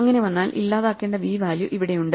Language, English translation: Malayalam, Supposing it turns out, the value v to be deleted is here